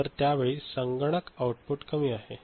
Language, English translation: Marathi, So, at that time the computer output is low, ok